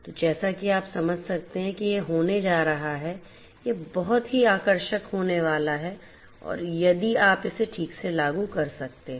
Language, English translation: Hindi, So, as you can understand that this is going to be this is going to be very attractive if you can implement it properly